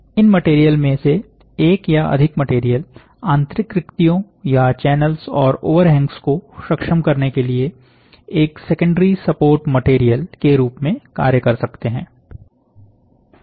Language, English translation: Hindi, One or more of these material may act as a secondary support material to enable internal voids or channels and overhangs